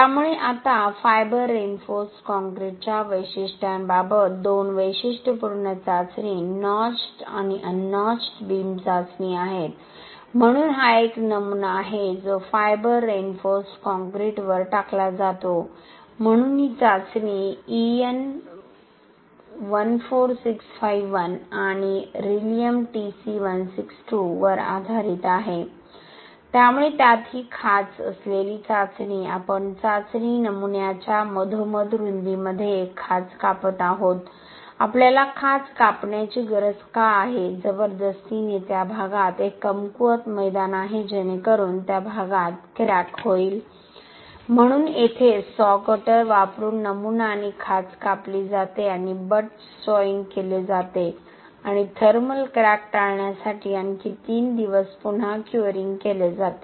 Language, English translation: Marathi, So now regarding the characterisation of fiber reinforced concrete there are two typical test notched and un notched beam test, so this is a specimen, cast on fiber reinforced concrete, so this testing is based on an EN 14651 and Rilem TC 162, so in this notched test we are actually cutting a notched in the mid width of the test specimen, why do we need to cut the notch is, to the forcing, a weak plain in that area so that a crack happens in that area, so this is a specimen and the notch is cut using a saw cutter and butt sawing is done and again curing is done for another three days to avoid any thermal cracks